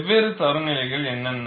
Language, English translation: Tamil, And what are the different standards exist